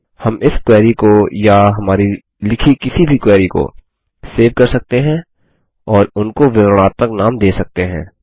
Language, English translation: Hindi, We can save this query or any query we write and give them descriptive names